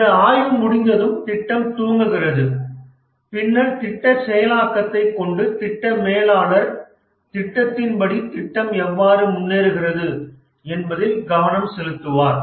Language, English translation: Tamil, And once the plan is over, the project starts off and then we have the project execution where the project manager concentrates on how the project progresses as per the plan